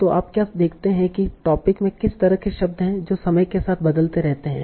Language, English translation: Hindi, So what you see the kind of words that are there in the topic keeps on changing over time